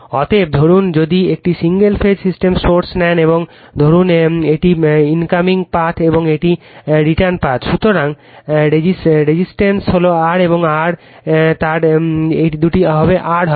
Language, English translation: Bengali, Therefore, suppose if you take a single phase source and suppose this is incoming path and this is return path, so resistance is R and R, so it will be two R right